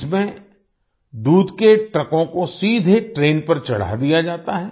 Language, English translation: Hindi, In this, milk trucks are directly loaded onto the train